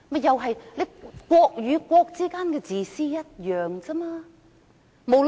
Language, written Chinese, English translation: Cantonese, 可是，國與國之間的自私是一樣的。, However selfishness between countries is just the same